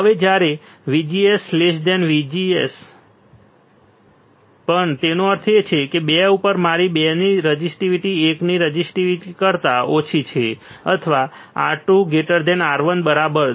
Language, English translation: Gujarati, Now, when VGS is less than VGS two; that means, my resistivity at 2 is less than resistivity of 1 or R 2 is greater than R1 right